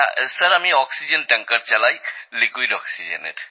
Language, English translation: Bengali, Sir, I drive an oxygen tanker…for liquid oxygen